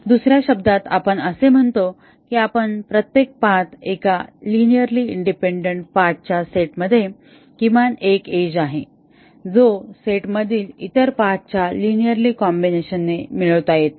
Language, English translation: Marathi, In other words, we say that each path in a linearly independent set of path as at least one edge which cannot be obtained by a linear combination of the other paths in the set